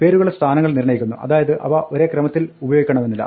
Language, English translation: Malayalam, Now the positions determine the names so they do not have to be used in the same order